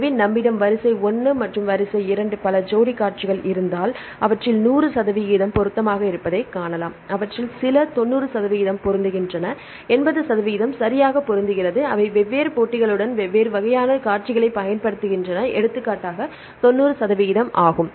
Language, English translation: Tamil, So, if we have sequence 1 sequence 2 several pairs of sequences right some of them, you can see 100 percent match some of them 90 percent match some of them; 80 percent match right, they use different types of sequences with the different matches, for example, 90 percent